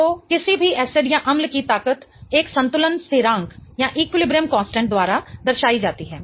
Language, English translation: Hindi, So, the strength of any acid is represented by an equilibrium constant